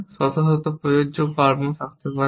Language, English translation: Bengali, There may be hundreds of applicable actions